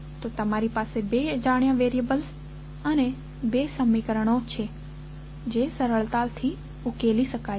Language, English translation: Gujarati, So, you have two unknown variables and two equations which can be easily solved